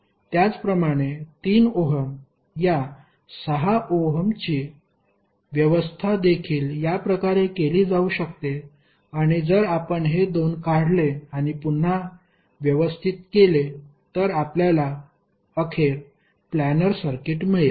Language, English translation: Marathi, Similarly this particular 6 ohm is also can be arranged in this fashion and if you remove this 2 and rearrange you will eventually get a planar circuit